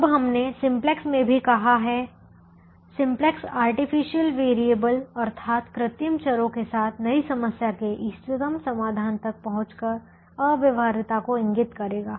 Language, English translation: Hindi, now we also said in simplex: simplex will indicate infeasibility by reaching the optimal solution to the new problem with the artificial variables